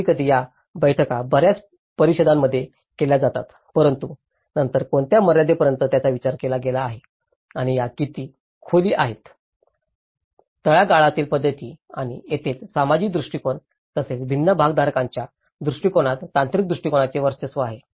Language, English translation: Marathi, Sometimes, these meetings do held in many councils but then to what extent this has been considered and how depth these are, the bottom up approaches and this is where the technical approaches dominates with the social approaches as well the perspective of different stakeholders